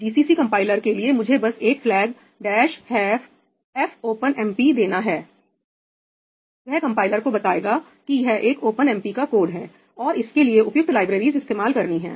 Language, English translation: Hindi, For the GCC compiler, I just have to give a flag ‘dash fopenmp’ that tells the compiler that this is an OpenMP code, and to use the appropriate libraries and so on